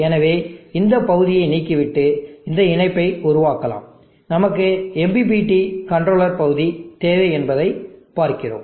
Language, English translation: Tamil, So we can remove that portion make this connection and we see that, we just need MPPT controller portion